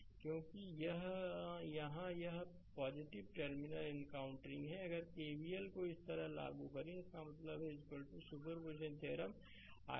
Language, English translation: Hindi, Because here it is plus terminal encountering plus if you apply KVL like this so; that means, i is equal to superposition theorem i 1 plus i 2 plus i 3